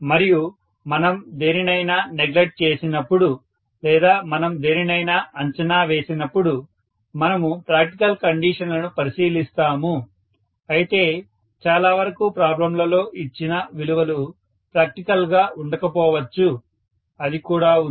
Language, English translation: Telugu, And when we neglect something or when we approximate something we look at the practical conditions but most of the time the values given in the problems may not be all that practical, that is also there